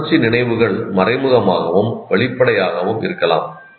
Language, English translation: Tamil, Emotional memories can both be implicit or explicit